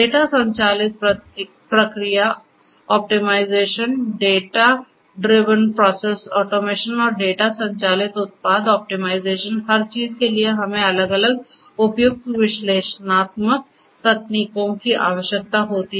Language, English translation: Hindi, Data driven process optimization, data driven process automation and data driven product optimization for everything we need different suitable analytical techniques to be implemented